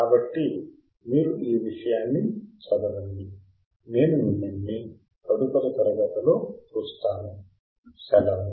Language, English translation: Telugu, So, then you read this stuff and I will see you in the next class, bye